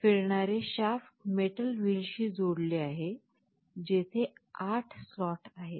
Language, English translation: Marathi, The rotating shaft is connected to the metal wheel where there are 8 slots